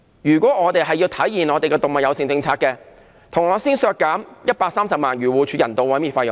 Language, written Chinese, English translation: Cantonese, 如果我們要體現動物友善政策，便先要削減130萬元漁護署的人道毀滅費用。, If we want to achieve an animal - friendly policy we must first cut the 1.3 million appropriated for AFCD to conduct euthanasia